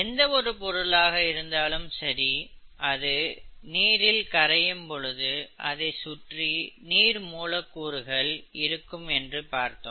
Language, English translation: Tamil, Now we said that if a substance dissolves in water, it means that it is surrounded by a layer of water molecules, okay